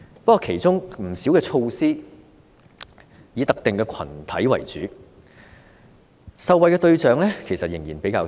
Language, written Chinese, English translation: Cantonese, 不過，其中不少措施都以特定群體為主，受惠對象仍然較窄。, However many of these measures are mainly targeted at specific groups . The beneficiaries are still quite limited